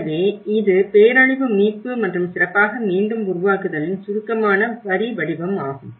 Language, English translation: Tamil, So, this is the brief skeleton of the disaster recovery and build back better